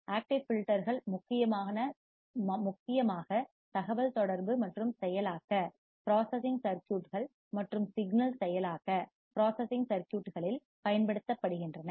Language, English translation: Tamil, Active filters are mainly used in communication and processing circuits and signal processing circuit